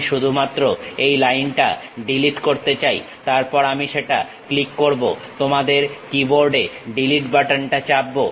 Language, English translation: Bengali, I would like to delete only this line, then I click that press Delete button on your keyboard